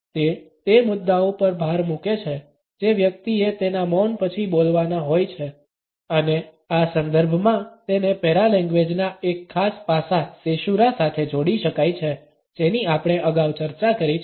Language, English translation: Gujarati, It signals emphasis on the points which the person has to speak after his silence and in these contexts it can be linked with caesura a particular aspect of paralanguage which we have discussed earlier